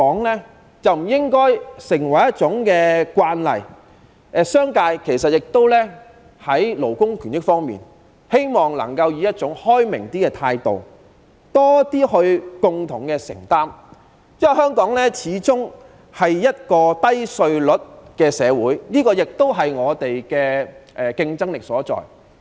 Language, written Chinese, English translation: Cantonese, 其實，我希望商界能對勞工權益方面抱持更開明的態度，多一點作出共同的承擔，因為香港始終是低稅率的社會，這亦是我們的競爭力所在。, In fact I wish that the business sector can be more open - minded towards labour rights and interests and will share the commitment because Hong Kong is after all practising a low tax regime which is where our competitiveness lies